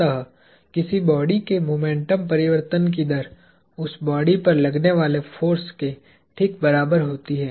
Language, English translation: Hindi, So, the rate of change of momentum of a body is exactly equal to the force acting upon the body